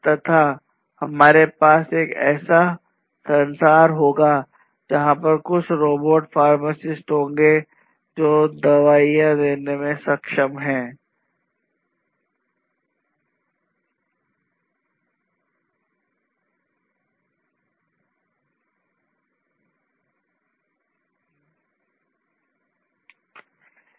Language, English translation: Hindi, And we are going to have a world, where there would be some robotic pharmacists, which is going to help in the pharmaceutical industry